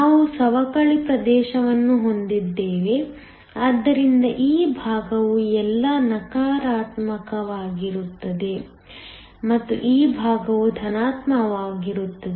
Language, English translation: Kannada, We have a depletion region, so that this side is all negative and this side is all positive